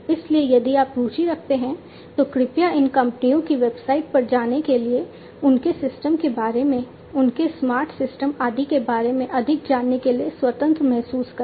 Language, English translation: Hindi, So, if you are interested please feel free to visit these company websites to, to know more about their systems, their smarter systems, and so on